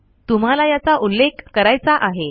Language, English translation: Marathi, And you have to refer to this